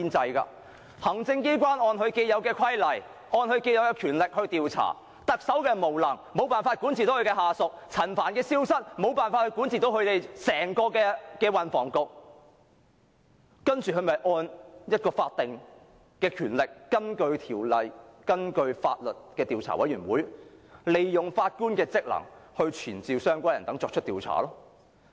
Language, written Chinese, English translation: Cantonese, 行政機關按既有規例和權力進行調查，因為特首無能，無法管治下屬，容許陳帆消失，無法管治整個運輸及房屋局，所以便按法定權力，根據《調查委員會條例》成立調查委員會，賦予法官權力傳召相關人等進行調查。, The Executive Authorities will conduct an inquiry according to the established rules and powers because the Chief Executive is so incompetent that she is unable to supervise her subordinates; she allows Frank CHAN to disappear and fail in supervising the entire Transport and Housing Bureau . Thus she has exercised her statutory powers and established the Commission of Inquiry under the Commissions of Inquiry Ordinance and conferred the Judge with powers to conduct the inquiry including the power to summon witnesses